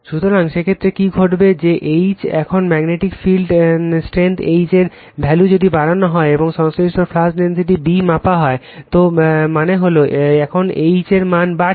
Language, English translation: Bengali, So, in that case, what will happen that your H, now increasing values of magnetic field strength H and the corresponding flux density B measured right, so that means, you are increasing the H value now